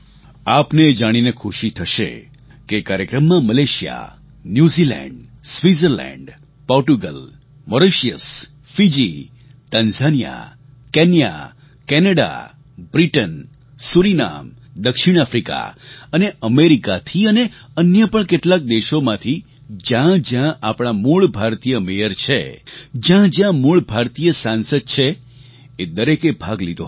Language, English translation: Gujarati, You will be pleased to know that in this programme, Malaysia, New Zealand, Switzerland, Portugal, Mauritius, Fiji, Tanzania, Kenya, Canada, Britain, Surinam, South Africa and America, and many other countries wherever our Mayors or MPs of Indian Origin exist, all of them participated